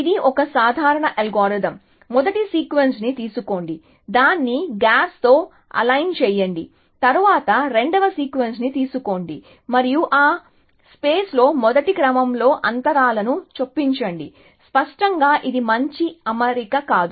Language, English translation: Telugu, That is of course, a simple algorithm, take the first sequence, align it with gaps, then take the second sequence and insert gaps in the first sequence in that place; obviously, that is not a good alignment essentially